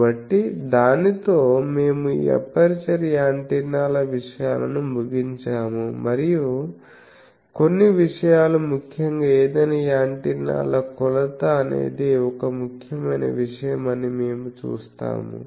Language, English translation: Telugu, So, with that we conclude this aperture antennas things and we will see that there are certain things particularly the measurement of any antennas various characteristic that is an important thing